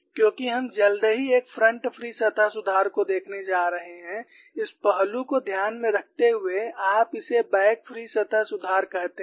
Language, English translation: Hindi, Because we are going to see shortly a front free surface correction, keeping that aspect in mind, you call this as a back free surface correction